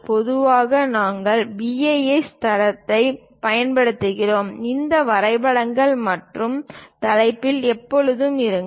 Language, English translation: Tamil, And usually, we recommend BIS standards; in that drawings and title, always be there